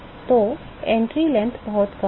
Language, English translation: Hindi, So, the entry length is very very small